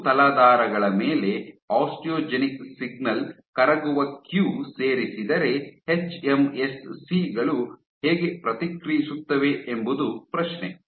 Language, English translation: Kannada, What would happen, so the question is how will hMSCs react if an osteogenic signal soluble cue is added on soft substrates